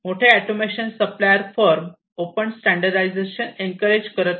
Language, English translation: Marathi, So, the large automation suppliers firms do not encourage open standardization